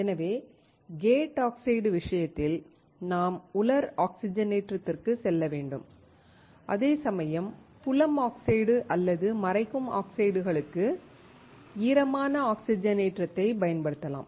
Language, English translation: Tamil, So, in the case of gate oxide, we should go for dry oxidation, whereas for field oxide or masking oxides, we can use the wet oxidation